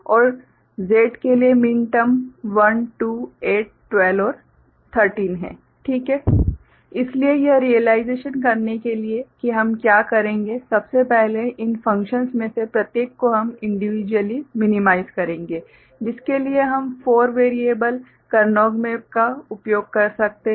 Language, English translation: Hindi, W = ∑ m(2,12,13) X = ∑ m(7,8,9,10,11,12,13,14,15) Y = ∑ m(0,2,3,4,5,6,7,8,10,11,15) Z = ∑ m(1,2,8,12,13) So, to realize it what we shall do – first, each of these functions we shall individually minimize, for which we can use 4 variable Karnaugh map